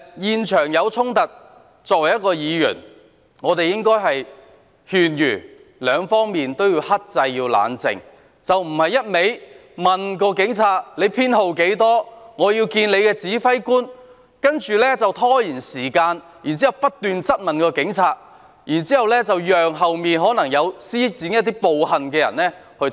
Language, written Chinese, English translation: Cantonese, 現場發生衝突，作為議員，我們應該勸諭雙方克制、冷靜，而非不斷查問警員編號，要求見他的指揮官，然後拖延時間，不斷質問警員，讓身後可能曾作出暴力行為的人逃走。, When a conflict took place at the scene being Members we should advise both parties to exercise restraints and stay calm rather than repeatedly enquiring about the police officers identification number requesting to see his commander then shooting questions at the police officer to buy time so that the person behind who might have committed violent acts could escape